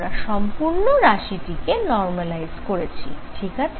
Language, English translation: Bengali, Now we have normalized the whole thing, alright